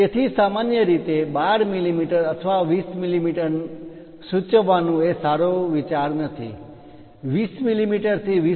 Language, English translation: Gujarati, So, 12 mm or 20 mm usually is not a good idea to indicate, its always good to mention 20 ranges to 20